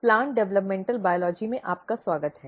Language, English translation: Hindi, Welcome back to the Plant Developmental Biology